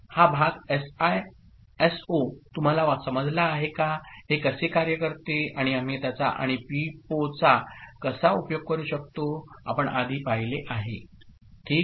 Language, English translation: Marathi, Have you understood this part SISO, how it works and how we can make use of it and PIPO we have already seen before ok